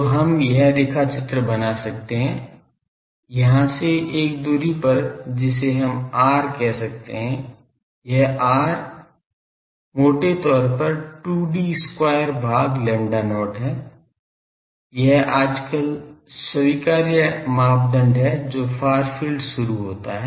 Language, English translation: Hindi, So, we can draw that from this a at a distance of we can call R, this R is 2 D square by lambda not roughly, this is an nowadays acceptable criteria that far field starts